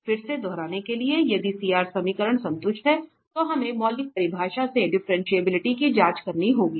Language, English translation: Hindi, Again to repeat if CR equations are satisfied, then we have to check the differentiability from the fundamental definition